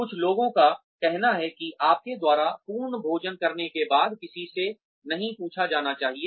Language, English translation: Hindi, Some people say that, after you had a full meal, one should not be asked to